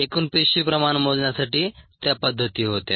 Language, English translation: Marathi, that those were the methods for measuring total cell concentration